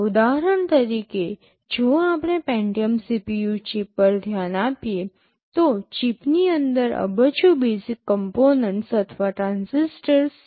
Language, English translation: Gujarati, For example, if we look at the Pentium CPU chip there are close to billions of basic components or transistors inside the chip